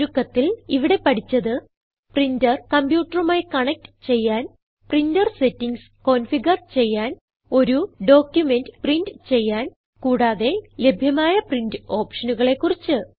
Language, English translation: Malayalam, In this tutorial, we learnt to Connect a printer to a computer Configure the printer settings Print a document And we also learnt about the various print options available